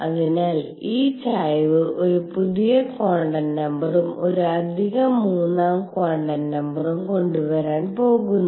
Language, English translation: Malayalam, So, these tilt is going to bring in a new quantum number, and additional third quantum number